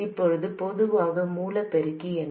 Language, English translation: Tamil, What is the common source amplifier